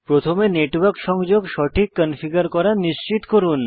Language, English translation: Bengali, First, make sure that your network connection is configured correctly